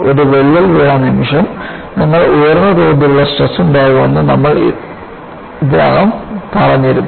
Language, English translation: Malayalam, And, we have already emphasized that the moment you have a crack, you will have very high level of stresses